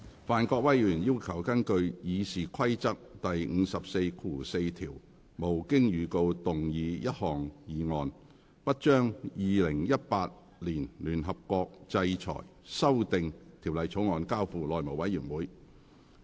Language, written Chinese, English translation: Cantonese, 范國威議員要求根據《議事規則》第544條，無經預告動議一項議案，不將《2018年聯合國制裁條例草案》交付內務委員會處理。, Mr Gary FAN requested to move a motion without notice under RoP 544 that the United Nations Sanctions Amendment Bill 2018 shall not be referred to the House Committee under RoP 544